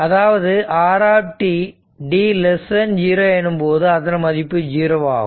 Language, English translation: Tamil, So, at t is equal to 3 it is strength is 10